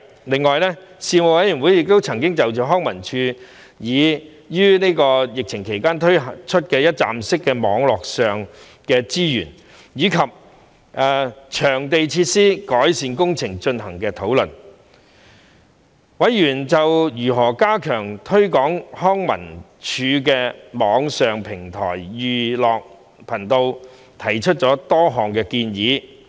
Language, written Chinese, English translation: Cantonese, 另外，事務委員會曾就康樂及文化事務署於疫情期間推出的一站式網上資源，以及場地設施的改善工程進行討論，委員就如何加強推廣康文署的網上平台"寓樂頻道"提出了多項建議。, Furthermore the Panel discussed the online resources on a one - stop platform launched by the Leisure and Cultural Services Department LCSD and the facility improvement works carried out at LCSD venues during the pandemic . Members made a number of suggestions on how to enhance the online learning platform Edutainment Channel of LCSD